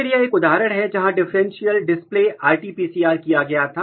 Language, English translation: Hindi, Then this is one example, where differential display RT PCR was done